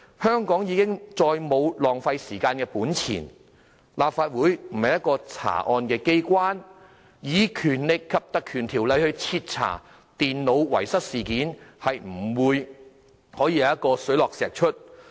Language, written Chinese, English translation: Cantonese, 香港已再沒有本錢浪費時間，而立法會亦不是查案機關，以《條例》徹查電腦遺失事件，是不會水落石出的。, Hong Kong cannot afford to waste time anymore . As the Legislative Council is not the place for crime investigation we can never uncover the whole picture by invoking the Ordinance